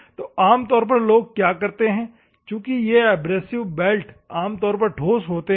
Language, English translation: Hindi, So, what normally the people do is these abrasive belts are normally the solid ones